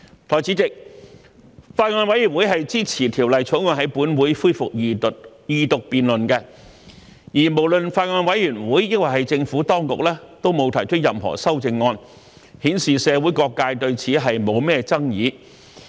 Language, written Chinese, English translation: Cantonese, 代理主席，法案委員會是支持《條例草案》在本會恢復二讀辯論的，而無論法案委員會還是政府當局，都沒有提出任何修正案，顯示社會各界對此沒有什麼爭議。, Deputy President the Bills Committee supports the resumption of the Second Reading of the Bill in this Council . The absence of any amendment from the Bills Committee and the Administration indicates that various sectors of the community has no dispute about the Bill